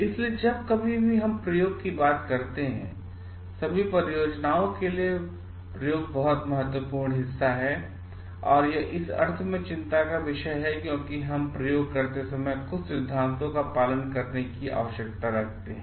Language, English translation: Hindi, So, what we see is like when we talk of experimentation, experimentation is a very important part for all things like projects which are and it is a matter of concern in the sense because we need to follow certain principles while we are doing experimentations